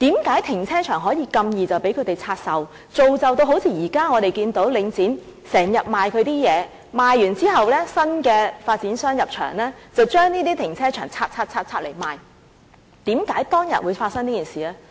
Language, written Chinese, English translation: Cantonese, 為何停車場如此容易便可以拆售，造就現時我們看到領展經常出售其資產，而在出售後，新的發展商在入場後便把停車場分拆、分拆、分拆，然後出售的情況？, Why can the car parks be divested so easily thus leading to the situation we now see that is Link REIT sells its assets frequently and after the car parks have been sold the new developers would parcel them out again and again after taking over and then sell them?